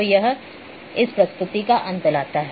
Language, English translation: Hindi, So, this brings to the end of this presentation